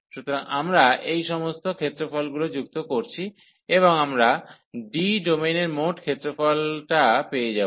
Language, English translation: Bengali, So, we are adding all these areas, and we will get the total area of the domain D